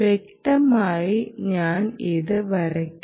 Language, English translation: Malayalam, let me draw it for better clarity